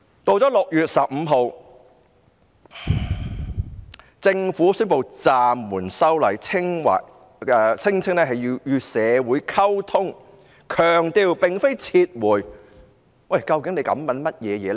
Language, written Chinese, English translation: Cantonese, 到了6月15日，政府宣布暫緩修例，聲稱要與社會溝通，但強調並非撤回，究竟特首在想甚麼呢？, On 15 June the Government announced that it would suspend the legislative amendment saying that it needed to communicate with society while also stressing that it was not a withdrawal . What exactly was the Chief Executive thinking about?